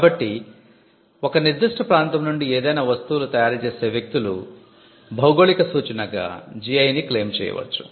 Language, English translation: Telugu, So, the people who are able to manufacture from that particular region can claim a GI a geographical indication